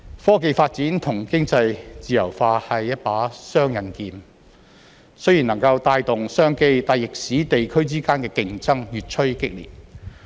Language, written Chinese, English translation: Cantonese, 科技發展與經濟自由化是一把雙刃劍，雖然能夠帶動商機，但亦使地區之間的競爭越趨激烈。, Technological advances and economic liberalization are a double - edged sword which can bring about business opportunities while intensifying competition among regions